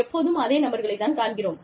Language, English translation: Tamil, We see the same people